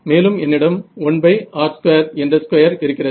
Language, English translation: Tamil, So, I have got a power that is going as 1 by r squared ok